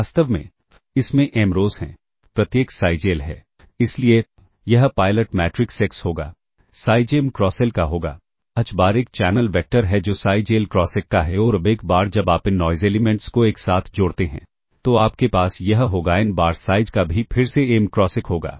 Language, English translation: Hindi, So, this will be pilot matrix x will be of size M cross L h bar is a channel vector which is of size L cross 1 and now, once you concatenate this noise [vocalized noise] elements you will have this will be n bar of size also again M cross 1